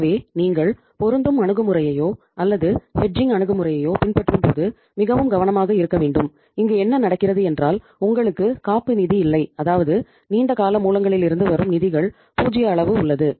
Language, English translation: Tamil, So we should be careful that when you are following a matching approach or hedging approach in that case what is happening you have no cushion means there is a 0 amount of the funds coming from the long term sources